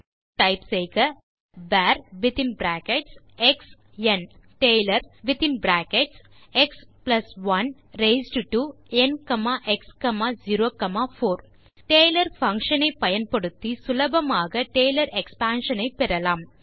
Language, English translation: Tamil, So for that you can type var of (x n) then type taylor within brackets((x+1) raised to n,x,0,4) We easily got the Taylor expansion,using the taylor function taylor() function